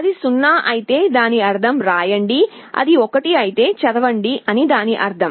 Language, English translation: Telugu, If it is 0, it means write, if it is 1 it means read